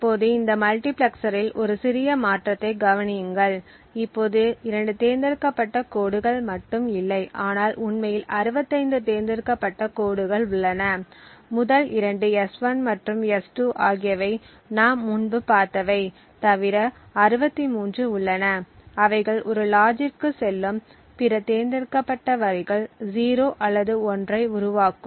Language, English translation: Tamil, Now consider a slight modification to this multiplexer, what we assume is that there is now not just two select lines but there are in fact 65 select lines, the first two are S1 and S2 which we have seen as before and besides that we have 63 other select lines which are going to a logic over here which produces either 0 or 1